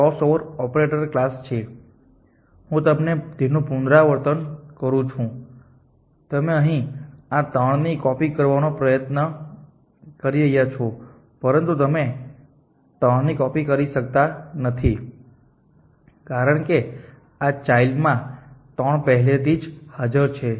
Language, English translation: Gujarati, This is the class of this possible operators if you let you a repeat this you are try to copy this 3 here, but you cannot copy 3, because 3 already exists in this child